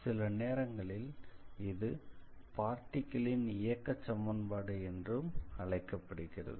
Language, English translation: Tamil, And sometimes, people also call it as equation of motion of a particle